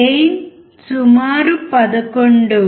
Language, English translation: Telugu, Gain is about 11